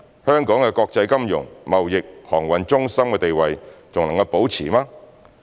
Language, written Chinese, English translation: Cantonese, 香港的國際金融、貿易、航運中心地位還能保持嗎？, Could Hong Kongs status as an international financial trade and maritime centre still be maintained?